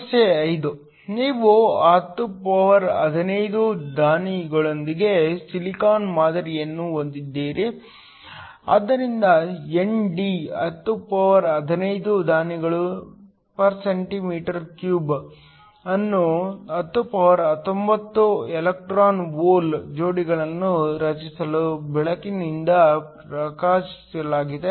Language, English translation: Kannada, Problem 5: You have a silicon sample with 1015 donors, so ND is 1015 donors cm 3 is illuminated with light to create 1019 electron hole pairs